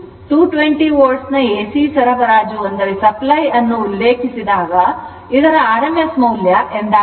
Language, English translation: Kannada, When an AC supply of 220 volt is referred, it is meant the rms value right